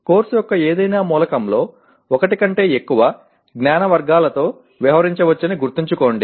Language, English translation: Telugu, Remember that in any element of the course one may be dealing with more than one knowledge category